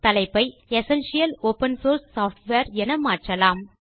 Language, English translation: Tamil, Change the title to Essential Open Source Software